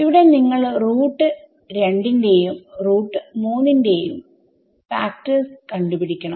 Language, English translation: Malayalam, So, here you will find factors of root 2, root 3 etc